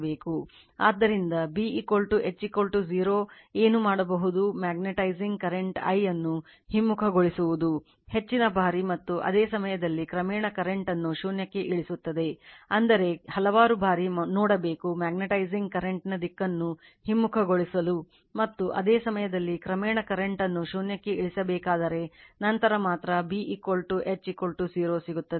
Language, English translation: Kannada, By reversing the magnetizing current say I, a large number of times while at the same time gradually reducing the current to zero that means, several times you have to see you have to reverse the direction of the your magnetizing current, I mean large number of times, and while at the same time gradually you have to reduce in the current to zero, then only you will get B is equal to H is equal to 0